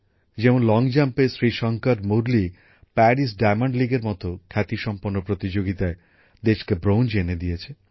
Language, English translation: Bengali, For example, in long jump, Shrishankar Murali has won a bronze for the country in a prestigious event like the Paris Diamond League